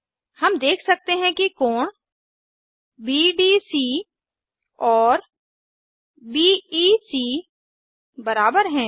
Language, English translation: Hindi, Notice that distances BD and DC are equal